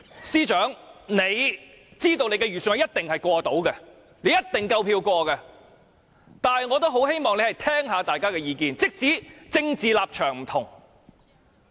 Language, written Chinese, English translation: Cantonese, 司長知道其預算案一定夠票通過，但我也很希望他能聆聽大家的意見，即使大家政治立場不同。, The Financial Secretary knows that he will surely obtain enough votes to pass the Bill but I very much hope that he will listen to Members views despite our different political stances